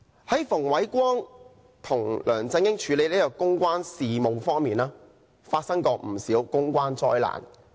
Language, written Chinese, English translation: Cantonese, 馮煒光為梁振英處理公關事務，曾造成不少公關災難。, Andrew FUNG has created many public relations disasters in handling public relations affairs for LEUNG Chun - ying